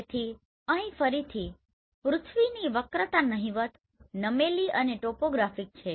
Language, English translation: Gujarati, So here again curvature of the earth is negligible, tilt and topographic relief